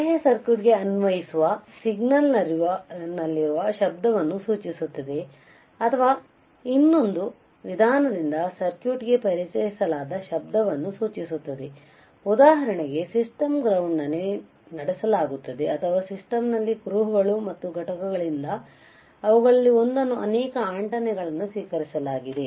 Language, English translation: Kannada, External refers to noise present in the signal being applied to the circuit or to the noise introduced into the circuit by another means, such as conducted on a system ground or received one of them many antennas from the traces and components in the system